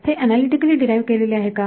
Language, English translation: Marathi, Is it derived analytically